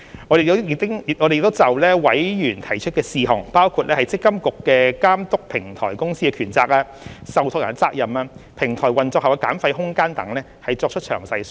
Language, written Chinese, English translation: Cantonese, 我們亦已就委員提出的事項，包括積金局監督平台公司的權責、受託人的責任、平台運作後的減費空間等作出詳細說明。, We have also offered detailed explanation on the issues raised by members including the powers and responsibilities of MPFA in overseeing the Platform Company the responsibilities of trustees the room for fee reduction after the platform has come into operation and so on